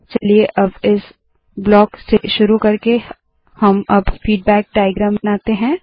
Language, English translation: Hindi, Let us now create the feedback diagram starting from this block